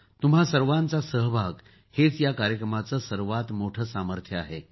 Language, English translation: Marathi, Your participation is the greatest strength of this program